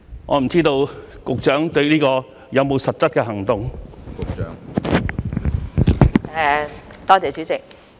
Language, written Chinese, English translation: Cantonese, "我不知道局長就此有否實質的行動。, May I know whether the Secretary has taken any concrete action in this regard?